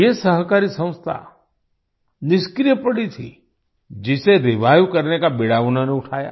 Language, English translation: Hindi, This cooperative organization was lying dormant, which he took up the challenge of reviving